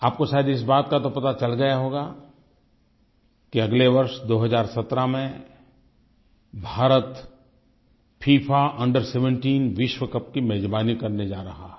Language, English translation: Hindi, You must have come to know that India will be hosting the FIFA Under17 World Cup next year